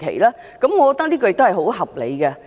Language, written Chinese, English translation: Cantonese, 我認為這是很合理的。, I consider that reasonable